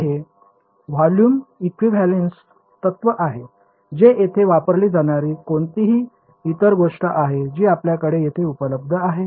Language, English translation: Marathi, So, it is the volume equivalence principle that is used over here any other thing that sort of stands out for you over here